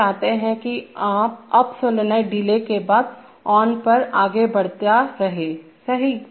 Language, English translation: Hindi, We want that the up solenoid will go on after an on delay, right